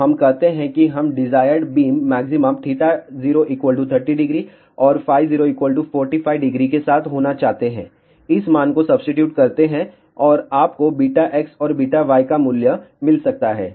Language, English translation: Hindi, So, let us say we want the desired beam maxima to be along theta 0 equal to 30 degree and phi 0 equal to 45 degree substitute these values and you can find the value of beta x and beta y